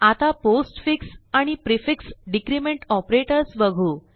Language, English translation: Marathi, I will now explain the postfix and prefix decrement operators